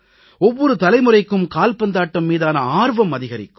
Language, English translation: Tamil, It will evince more interest in Football in every generation